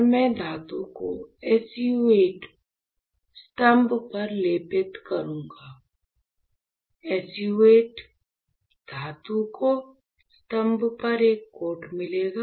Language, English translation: Hindi, And I will have my metal coated on the SU 8 pillar, my metal will get a coat on SU 8 pillar